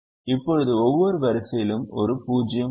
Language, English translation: Tamil, now every row has one zero